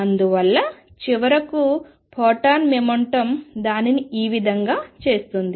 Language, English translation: Telugu, And therefore, finally, the photon momentum makes it go this way